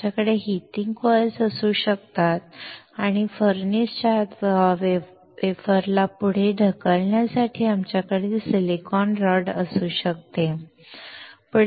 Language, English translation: Marathi, We can have heating coils and we can have the silicon rod to push the wafer further inside the furnace